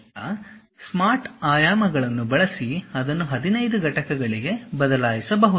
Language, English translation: Kannada, Now, use Smart Dimensions maybe change it to 15 units